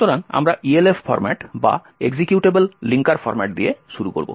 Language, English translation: Bengali, So, we will start with the Elf format or the Executable Linker Format